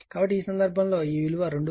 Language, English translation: Telugu, So, in this case, it will be 2